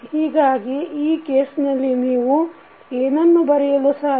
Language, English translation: Kannada, So, in that case what you can write